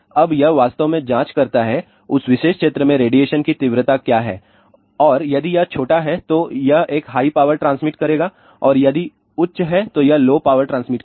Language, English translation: Hindi, Now, it actually checks what is the radiation intensity in that particular area and if it is small then it will transmit a high power and if it is high then it will transmit low power